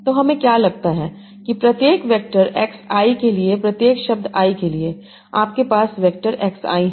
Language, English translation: Hindi, Suppose that for each vector xI, for each word I, you have a vector xI